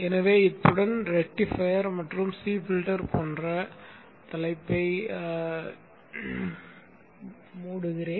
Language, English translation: Tamil, So with this I will close this topic of rectifier and C filter